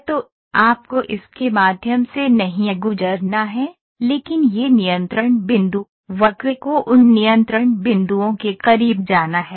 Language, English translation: Hindi, So, you do not have to pass through it, but these control points, the curve has to go close to those control points